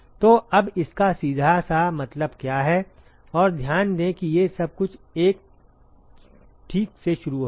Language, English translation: Hindi, So, now what it simply means and note that everything all of these they start from 1 ok